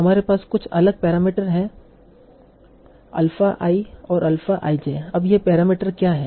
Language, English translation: Hindi, Now what do these parameters alpha and alpha is I indicate